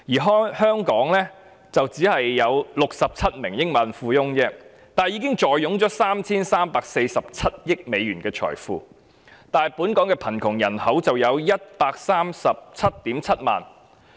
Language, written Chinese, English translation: Cantonese, 香港只有67名億萬富翁，卻已坐擁 3,347 億美元的財富；可是本港的貧窮人口卻有 1,377 000萬人。, While there are only 67 multi - billionaires in Hong Kong their wealth amounts to a total of US334.7 billion . In contrast 1.377 million Hong Kong people are living in poverty